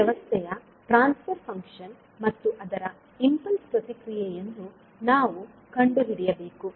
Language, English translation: Kannada, Now, what we have to do, we have to find the transfer function of this system and its impulse response